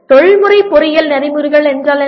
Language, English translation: Tamil, Now, what are Professional Engineering Ethics